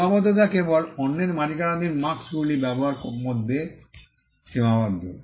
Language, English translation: Bengali, The restriction is only in confined to using marks that are owned by others